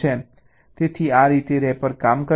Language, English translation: Gujarati, so this is how the rapper work